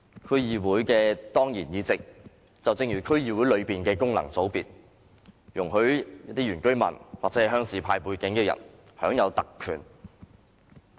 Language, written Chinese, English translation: Cantonese, 區議會的當然議席，就正如區議會內的功能界別，容許原居民或鄉事派背景的人享有特權。, Ex - officio seats in DCs are like functional constituencies in DCs granting indigenous residents or people of a rural background a licence to enjoy privileges